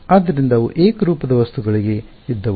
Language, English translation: Kannada, So, they were for homogeneous objects